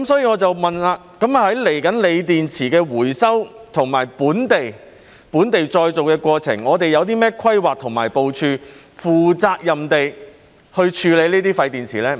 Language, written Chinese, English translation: Cantonese, 我想問接下來在鋰電池的回收和本地再造的過程中，我們有何規劃和部署，負責任地處理這些廢電池？, May I ask what plans and preparation has been made in the process of local recycling and reuse of lithium batteries to dispose of the waste batteries responsibly?